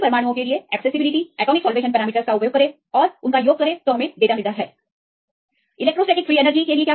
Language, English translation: Hindi, Use accessibility, atomic solvation parameters use for all atoms and sum up and we get the data; for the electrostatic free energy